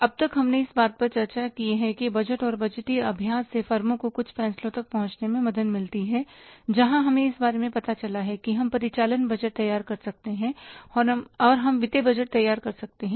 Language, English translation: Hindi, And till now we have discussed that how the budgeting and the budgetary exercise helps the firms to arrive at certain decisions where we learned about that we can prepare the operating budget and we can prepare the financial budgets